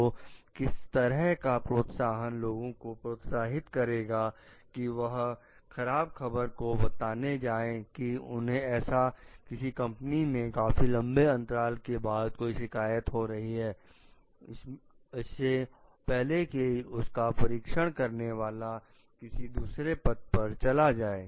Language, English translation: Hindi, So, what incentive is going to like encourage people to report bad news about something that is going to happen long after the complaining in the company, before the examiner has moved to other position